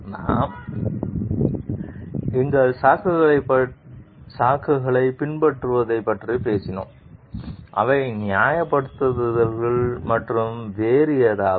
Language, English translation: Tamil, We talked of following our excuses and which are justifications and something else